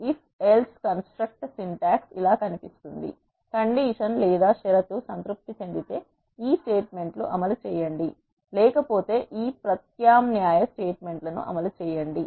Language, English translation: Telugu, So, the if else construct syntax looks like this, if the condition is satisfied perform this statements else perform this alternate statements